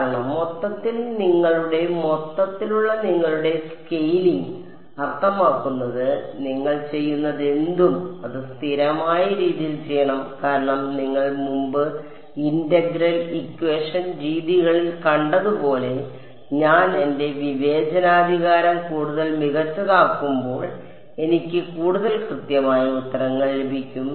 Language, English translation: Malayalam, Because, overall your I mean your scaling overall whatever you do, it should be done in a consistent way because as you seen in integral equation methods before, as I make my discretization finer and finer I get more and more accurate answers